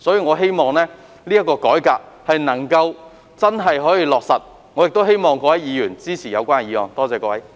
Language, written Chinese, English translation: Cantonese, 我希望政府能夠真正落實改革，亦希望各位議員支持議案。, I hope the Government can truly implement a reform and I also hope that Members can support the motion